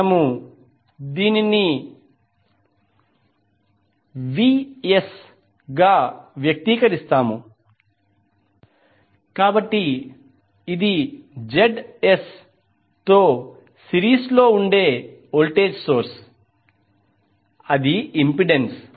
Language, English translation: Telugu, We will express it as Vs, so this is voltage source in series with Zs that is impedance